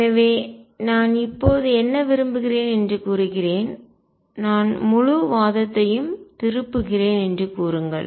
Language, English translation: Tamil, So, let me now state what I want to say I turn the whole argument around and say